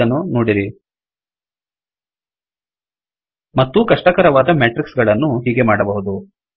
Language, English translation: Kannada, More complicated matrices can be created as follows